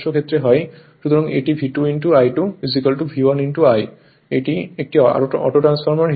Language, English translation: Bengali, So, it is V 2 into I 2 is equal to V 1 into I as an autotransformer right